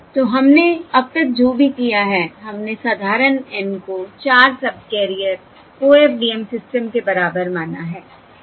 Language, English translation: Hindi, okay, So what we have done so far is we have considered the simple n equal to 4 subcarrier OFDM system